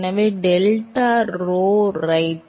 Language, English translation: Tamil, So, delta P by rho right